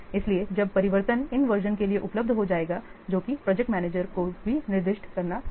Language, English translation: Hindi, So when changes will become available to these part versions that also the project manager has to specify